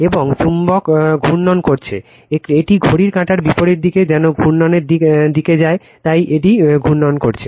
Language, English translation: Bengali, And magnet is rotating, it goes direction of the rotation given anti clockwise direction, it is rotating